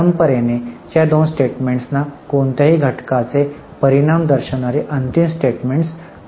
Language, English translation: Marathi, Traditionally, these two statements were considered as the final statements showing the results of any entity